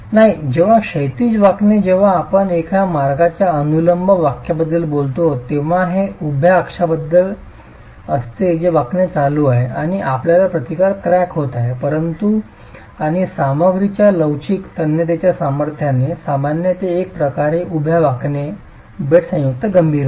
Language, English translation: Marathi, When we talk of one way vertical bending, it's about the vertical axis that the bending is happening and you're getting cracking the resistance is offered by a joint and the flexible tensile strength of the material normal to the bed joint becomes critical in one way vertical bending